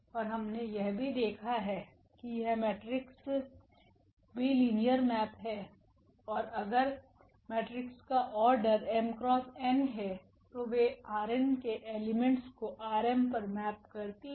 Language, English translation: Hindi, And what we have also seen that these matrices are also linear map and if matrix is of order m cross n then they map the elements of R n to the elements of R m